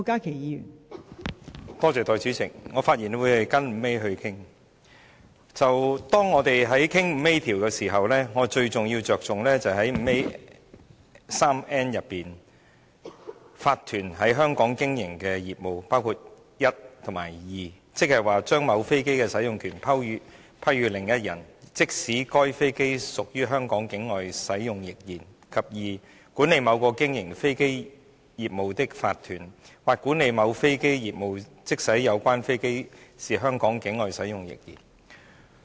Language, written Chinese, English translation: Cantonese, 當我們討論到第 5A 條時，最重要的就是第53條中，建議加入第 151n 條，說明有關法團在香港經營的業務，包括第 i 及節，即是 "i 將某飛機的使用權批予另一人......，即使該飛機是於香港境外使用亦然；或管理某個經營飛機業務的法團，或管理某飛機業務，即使有關飛機是於香港境外使用亦然。, When discussing clause 5A it is most important to note that clause 53 proposes to add 151n so as to specify the business operated in Hong Kong by the relevant corporation includes i and ii that is i its business of granting a right to use an aircraft to another person even if the aircraft is used outside Hong Kong; or ii its business of managing a corporation carrying on an aircraft business or of managing an aircraft business even if the aircraft concerned is used outside Hong Kong